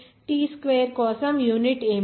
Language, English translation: Telugu, What is the unit for t square